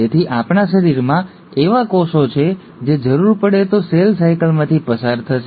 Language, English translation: Gujarati, So, there are cells in our body which will undergo cell cycle, if the need arises